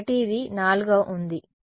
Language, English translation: Telugu, So, this is a 4 is